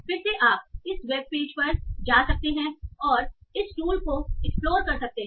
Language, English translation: Hindi, So again you can go to this web page and explore what this tool does